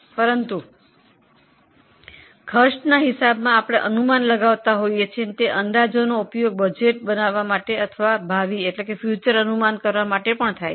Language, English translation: Gujarati, But in cost accounting we make estimates and those estimates are also used to make budgets or to make future projections